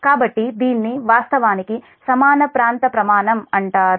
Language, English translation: Telugu, so this is actually is called equal area criterion